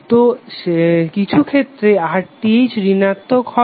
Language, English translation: Bengali, So sometimes RTh would be negative